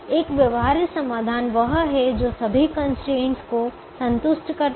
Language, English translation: Hindi, a feasible solution is one that satisfies all the constraints